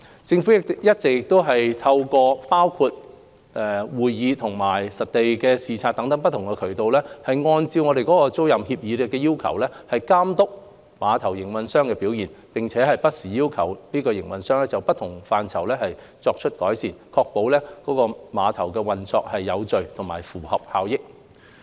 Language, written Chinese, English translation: Cantonese, 政府一直透過包括會議和實地視察等不同途徑，按照租賃協議的要求監督碼頭營運商的表現，並不時要求碼頭營運商就不同範疇作出改善，確保郵輪碼頭運作有序及合乎效益。, The Government has been overseeing the performance of the terminal operator through various means such as meetings and site inspections and has from time to time requested the terminal operator to make improvements in various aspects so as to ensure an orderly and effective operation at KTCT